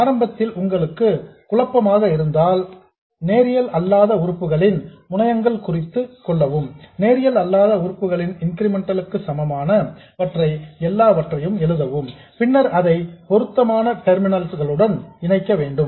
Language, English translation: Tamil, Initially if you are getting confused, you just mark the terminals of the nonlinear elements, write down the incremental equivalent of the nonlinear element and then connected to the appropriate terminals